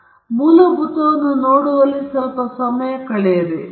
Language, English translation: Kannada, So, let us spend a bit of time in looking at the basics